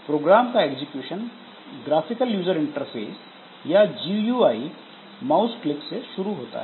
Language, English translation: Hindi, So, execution of a program is started via GUI mouse clicks